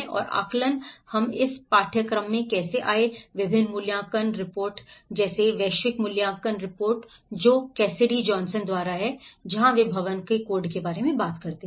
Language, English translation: Hindi, And assessments, how we come across in this course, various assessment reports like global assessment reports which is by Cassidy Johnson, where they talk about the building codes